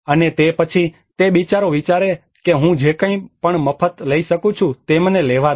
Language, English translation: Gujarati, And then the poor man thinks about let me take whatever I get for free